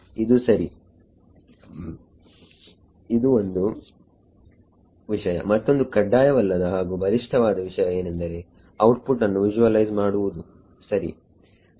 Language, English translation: Kannada, This is ok, this is one thing another optional thing can be which is very powerful is visualizing the output ok